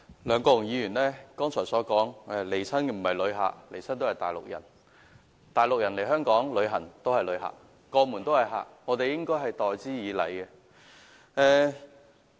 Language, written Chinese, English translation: Cantonese, 梁國雄議員剛才說來港的全部不是旅客，而是內地人，但內地人來港旅遊也是旅客，畢竟過門都是客，我們應該待之以禮。, Just now Mr LEUNG Kwok - hung said that all inbound visitors are not tourists but people from the Mainland . Nonetheless people coming from the Mainland to Hong Kong are also visitors; they are our guests and should be politely treated